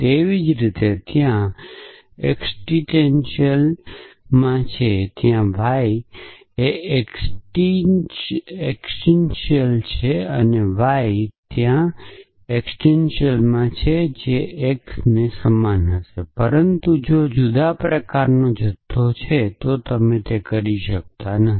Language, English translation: Gujarati, Likewise for there exist there exists y there exist y; there exist x they would be similar, but if the quantifier of different kind then you cannot do that